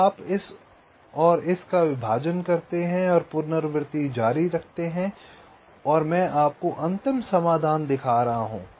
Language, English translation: Hindi, then you do a partitioning of this and this and continue recursively and i am showing you the final solution